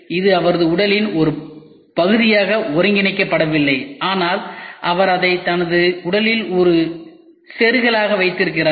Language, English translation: Tamil, It has it is not been integrated as part of his body, but he just keeps it as an insert to his body